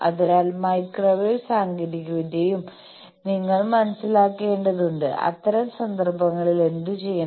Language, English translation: Malayalam, So, there also you need to understand microwave technology that in such cases, what to do